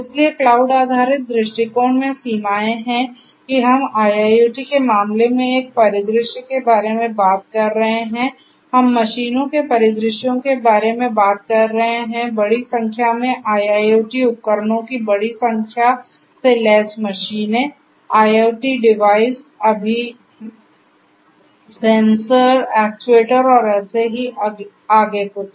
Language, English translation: Hindi, So, limitations in the cloud based approach is that we are talking about a scenario in the case of IIoT we are talking about scenarios of machines large number of machines equipped with large number of IIoT devices, IoT devices and so, on sensors, actuators and so on and so forth